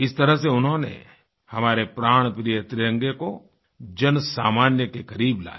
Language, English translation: Hindi, Thus, he brought our beloved tricolor closer to the commonman